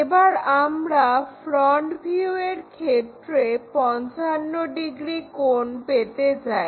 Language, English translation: Bengali, And, this front view makes 55 degrees